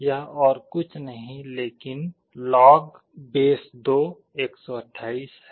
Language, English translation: Hindi, It is nothing, but log2 128